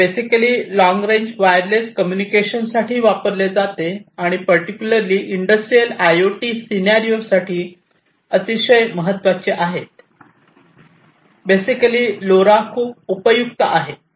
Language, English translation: Marathi, And it is used basically for long range wireless communication and that is very important particularly for Industrial IoT scenarios, LoRa basically is very useful